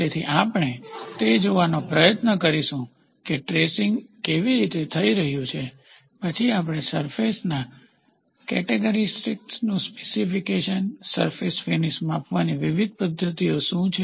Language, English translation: Gujarati, So, we will try to see how are the tracing happening, then specification of surface characteristics, what are the different methods of measuring surface finish